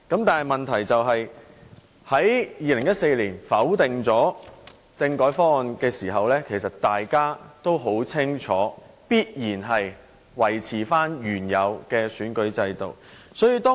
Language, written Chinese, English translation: Cantonese, 當他們在2014年否決政改方案時，大家清楚知道必然會維持原有的選舉制度。, When they voted down the constitutional reform proposal in 2014 everybody knew that the original electoral system would be maintained